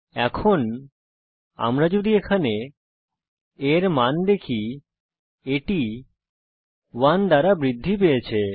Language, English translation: Bengali, Now if we see the value of a here, it has been incremented by 1